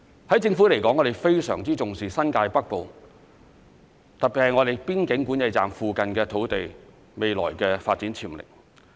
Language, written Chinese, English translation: Cantonese, 對政府來說，我們非常重視新界北部，特別是邊境管制站附近土地未來的發展潛力。, From the perspective of the Government great importance is attached to the potential for future development of the northern New Territories particularly the land in the surrounding areas of the boundary control points